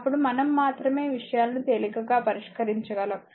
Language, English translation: Telugu, Then only we can we can solve things easily